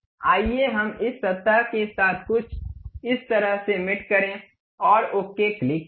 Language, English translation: Hindi, Let us do something like mate this surface with that surface, and click ok